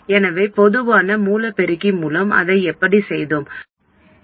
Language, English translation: Tamil, So how did we do that with the common source amplifier